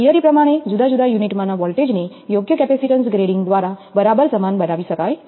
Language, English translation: Gujarati, Theoretically, the voltages across the different units can be made exactly equal by correct capacitance grading